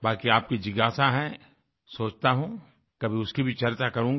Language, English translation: Hindi, The rest is your inquisitiveness… I think, someday I'll talk about that too